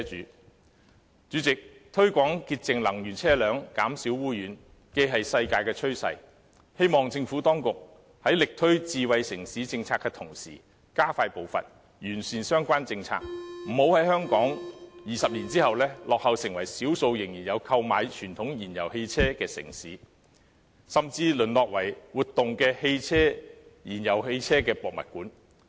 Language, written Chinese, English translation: Cantonese, 代理主席，推廣潔淨能源車輛，減少污染是世界的趨勢，希望政府當局在力推智慧城市政策的同時加快步伐，完善相關政策，不要令香港在20年後落後成為少數仍然有購買傳統燃油汽車的城市，甚至淪落為活動的燃油汽車博物館。, Deputy President it is a global trend to promote using clean energy vehicles and reduce pollution . I hope that when the Administration is vigorously promoting the smart city policy it can quicken its pace in improving the policies concerned so that 20 years later Hong Kong will not become one of the few backward cities which still purchase traditional fuel - engined vehicles or even degenerate into a museum of running fuel - engined vehicles